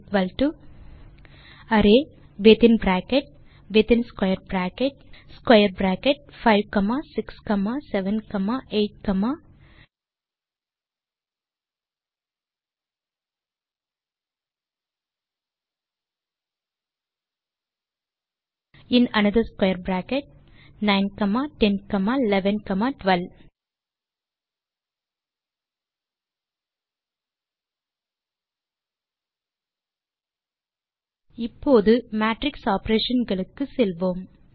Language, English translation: Tamil, m3 can be created as, Type m3 = array within closing bracket inside square bracket square bracket 5 comma 6 comma 7 comma 8 comma in another square bracket 9 comma 10 comma 11 comma 12 Let us now move to matrix operations